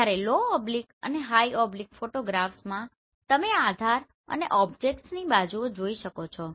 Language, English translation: Gujarati, Whereas in low oblique and high oblique photograph you can see the base as well as sides of the objects